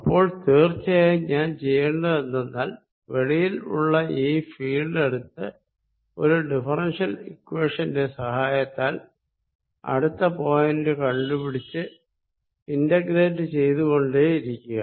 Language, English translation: Malayalam, Then; obviously, what I need to do is, take the field out here and using some sort of a differential equation, find out what it is next point, what it is at next point and then keep integrating